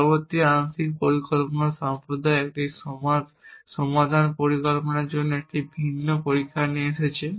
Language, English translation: Bengali, Instead the partial planning community has come up with a different test for a solution plan and we say that as well plan has no flaws